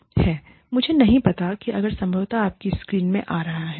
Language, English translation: Hindi, I do not know, if this is probably coming, in your screens